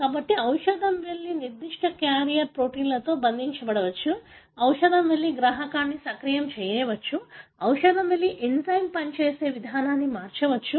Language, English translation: Telugu, So, drug may go and bind to certain carrier protein, drug may go and activate a receptor, drug may go and change the way an enzyme functions